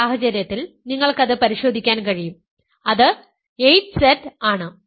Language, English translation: Malayalam, In this case you can check that, it is simply 8Z